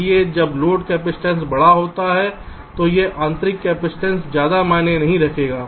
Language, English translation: Hindi, so when the load capacitance is large, so this intrinsic capacitance will not matter much